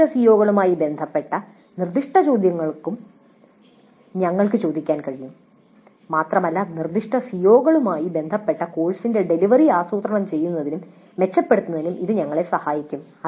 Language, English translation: Malayalam, But we can also ask specific questions related to specific COs and that would help us in planning, improving the delivery of the course with respect to specific CEOs